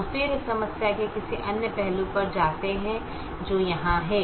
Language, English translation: Hindi, we then move on to some other aspect of this problem which is here